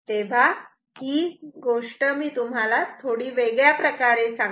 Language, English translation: Marathi, So, let me just tell the story in a different way